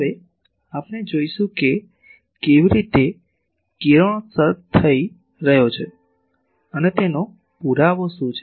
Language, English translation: Gujarati, Now, we will see that how; what is the proof that radiation is taking place